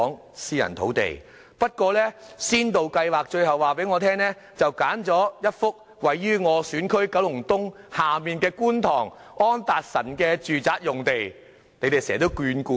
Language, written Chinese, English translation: Cantonese, 可是，港人首次置業先導計劃最後卻選址位於我的選區九龍東下方的觀塘安達臣道住宅用地。, Having said that the site chosen for the pilot scheme is a residential site located in my constituency at Anderson Road Kowloon East